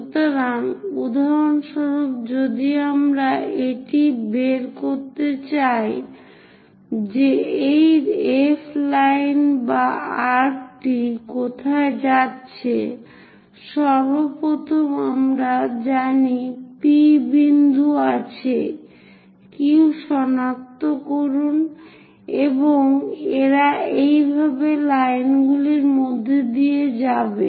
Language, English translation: Bengali, So, for example, if I want to figure it out where this F line or arc might be going; first of all P point is known, locate Q, and it has to pass through these lines